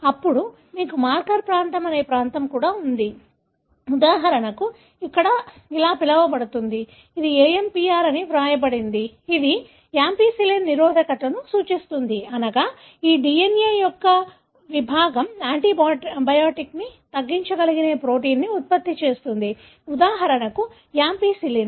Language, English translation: Telugu, Then, you also have a region called marker region, called here for example, it is written AMPR, which represents ampicillin resistance, meaning this DNA segment produces a protein which is able to degrade antibiotic, for example ampicillin